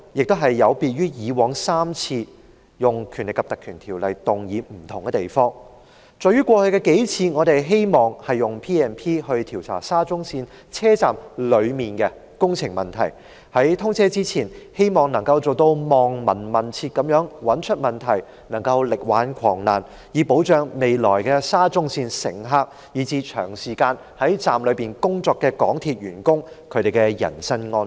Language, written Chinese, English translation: Cantonese, 今次與以住3次有議員動議引用《條例》的不同之處，在於過去數次我們希望引用《條例》調查沙中線車站內的工程問題，希望能夠在通車前"望聞問切"，找出問題，力挽狂瀾，以保障未來的沙中線乘客及長時間在站內工作的港鐵員工的人身安全。, The difference between this time and the three previous occasions on which Members sought to invoke the powers under PP Ordinance is that previously we sought to inquire into the problems of the works inside SCL stations in order to find out and correct the mistakes made through detailed diagnosis before commissioning so as to protect the personal safety of passengers in the future and MTR staff who will work long hours in SCL stations . President it is different this time around